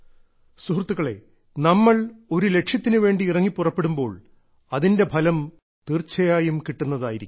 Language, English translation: Malayalam, And friends, when we set out with a goal, it is certain that we achieve the results